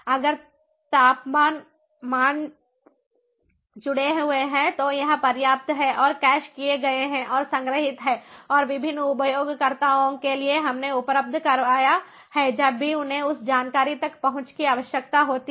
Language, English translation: Hindi, so it is sufficient if the temperature values are connected and are cached and are stored and we made available to the different users whenever they need access to that information